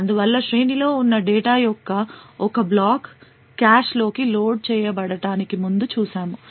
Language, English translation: Telugu, Thus, as we seen before one block of data present in array would be loaded into the cache